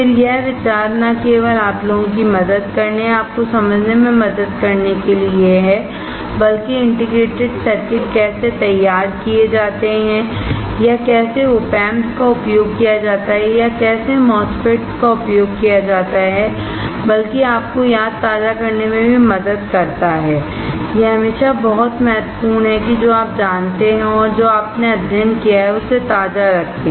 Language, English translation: Hindi, Again, the idea is not only to help you guys or to help you to understand, but how the integrated circuits are fabricated or how the OP Amps are used or how the MOSFETS are used, but also to help you to refresh; It is very important always to keep on refreshing what you know and what you have studied